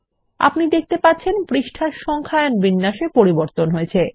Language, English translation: Bengali, You see that the numbering format changes for the page